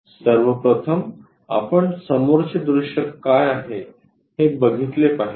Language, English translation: Marathi, First of all we have to visualize what is front view